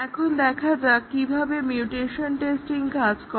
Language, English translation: Bengali, Now, let see why the mutation testing works